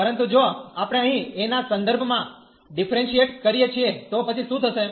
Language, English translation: Gujarati, But, if we differentiate here with respect to a, then what will happen